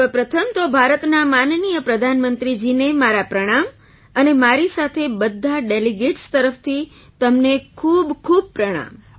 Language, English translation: Gujarati, First of all, my Pranam to Honorable Prime Minister of India and along with it, many salutations to you on behalf of all the delegates